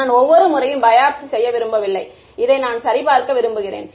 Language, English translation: Tamil, I do not want to have a biopsy done every time I want to check for this right